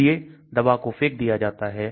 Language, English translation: Hindi, So the drug gets thrown out